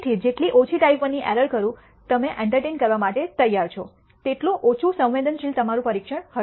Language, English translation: Gujarati, So, the more less type I error you are willing to entertain the less sensitive your test will be